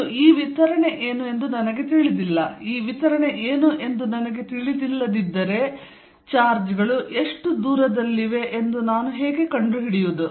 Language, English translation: Kannada, And I do not know what this distribution is, if I do not know what this distribution is how do I figure out, how far are the charges